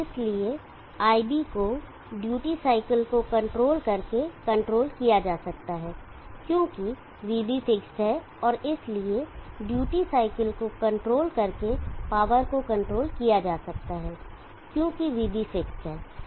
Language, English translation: Hindi, So IB can be controlled by controlling the duty cycle, because VB is fixed and therefore, power can be controlled by controlling the duty cycle as VB is fixed